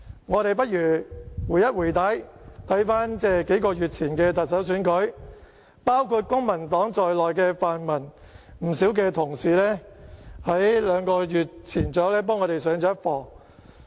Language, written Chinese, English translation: Cantonese, 我們看看數個月前的特首選舉，包括公民黨在內的泛民同事，在兩個月前幫我們上了一課。, Looking back at the Chief Executive Election a few months ago pan - democratic Members including Members from the Civic Party taught us a lesson two months ago